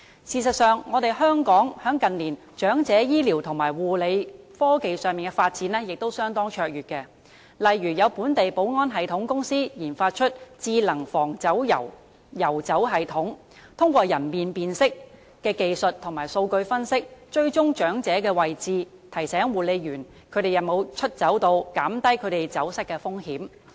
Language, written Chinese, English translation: Cantonese, 事實上，香港近年在長者醫療和護理科技方面的發展亦相當卓越，例如有本地保安系統公司研發了"智能防遊走系統"，通過人臉辨識技術和數據分析，追蹤長者的位置，提醒護理員長者有否出走，減低他們走失的風險。, As a matter of fact Hong Kongs development of elderly health care and nursing technologies has been outstanding in recent years . For example a local security system company has developed the Smart Guard for Anti - wandering system which can track the location of elderly persons through facial recognition technology and data analysis and send reminders to the nursing staff of whether the elderly have wandered away thereby reducing their risk of getting lost